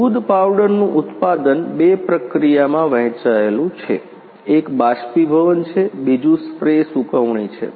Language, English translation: Gujarati, Manufacturing of milk powder is divided in two process; one is evaporation, second one is spray drying